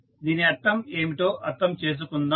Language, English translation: Telugu, Let us understand what does it mean